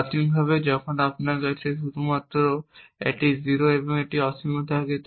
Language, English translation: Bengali, And the initial plan has two actions a 0 and a infinity